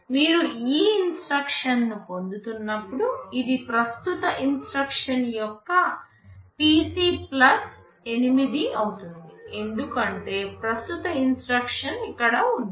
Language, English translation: Telugu, When you are fetching this instruction, this will be the PC of the current instruction plus 8, because current instruction is here